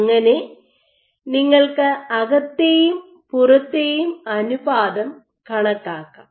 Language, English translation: Malayalam, So, you are calculating the inside to outside ratio